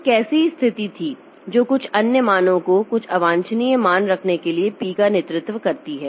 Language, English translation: Hindi, So, how, what was the situation that led to P having some other value, some undesirable value